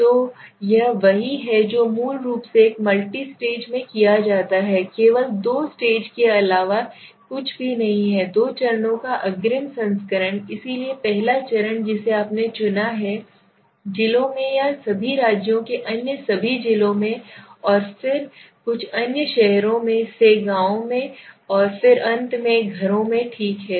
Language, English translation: Hindi, So this is what is done basically in a multi stage multi stage is nothing but the two stage only a advance version of the two stage you are going little more deeper so first stage you selected all the districts or all the states there in all the in some other districts then from some other towns villages and then finally the houses okay